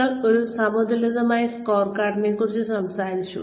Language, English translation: Malayalam, We talked about a balanced scorecard